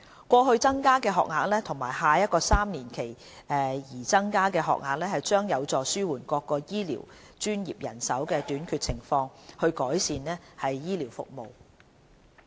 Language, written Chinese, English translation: Cantonese, 過去增加的學額和下一個3年期擬增的學額將有助紓緩各醫療專業的人手短缺情況，以改善醫療服務。, The increase in training places over years as well as the continued efforts to further increase the training places in the next triennial cycle should help relieve the manpower shortage of various health care professionals and improve the health care services